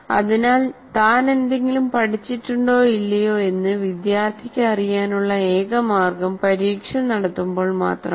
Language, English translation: Malayalam, So the only way the student will know whether he has learned something or not is only when the examination is conducted